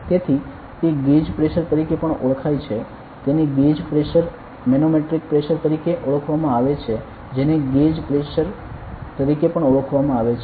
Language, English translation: Gujarati, So, it is also known as a gauge pressure it is known as a gauge pressure manometric pressure is also known as gauge pressure